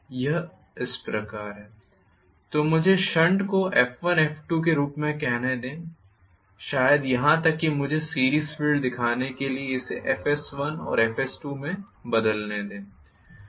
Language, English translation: Hindi, So, let me call the shunt filed as F1 F2, maybe even here let me change this to FS1 and FS 2 to show the series field, so let me write this as FS 1 and FS 2